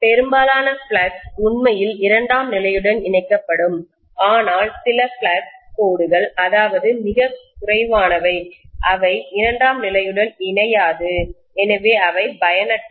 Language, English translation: Tamil, Most of the flux actually links with the secondary but some of the flux lines, maybe very few, they will not link with the secondary, so those are useless